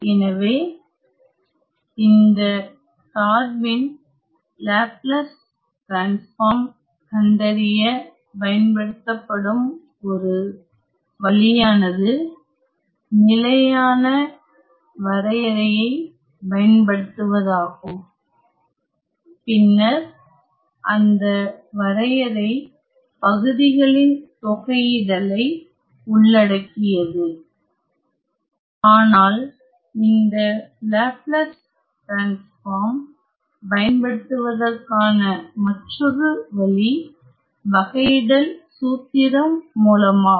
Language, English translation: Tamil, So, notice that one way to find the Laplace transform of this function is to use a standard definition and that definition will then involve integration by parts, but then the other way to utilize this Laplace transform is via this derivative formula